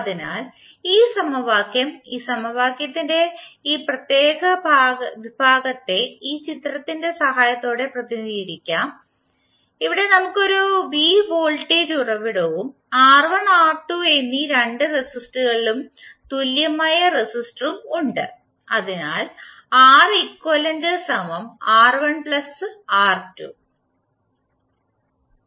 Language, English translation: Malayalam, So this equation, this particular segment of the this particular equation will be represented with the help of this figure, where we have a v voltage source and the equivalent resistor of both of the resistors both R¬1 ¬ and R¬2¬